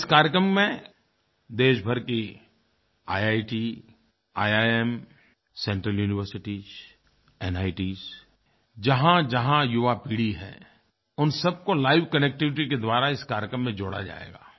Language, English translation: Hindi, In this program all the IIT's, IIM's, Central Universities, NIT's, wherever there is young generation, they will be brought together via live connectivity